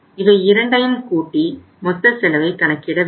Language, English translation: Tamil, So we will sum it up and see what is the total cost